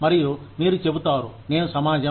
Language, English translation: Telugu, And, you will say, I am the society